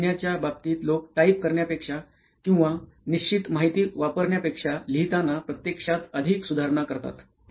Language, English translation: Marathi, So in terms of writing people actually improvise more while writing than on typing or using a fixed information